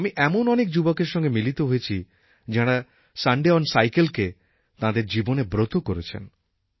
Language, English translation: Bengali, I have met so many youth who have taken the pledge 'Sunday on Cycle'